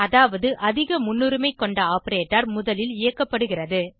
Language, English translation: Tamil, This means that the operator which has highest priority is executed first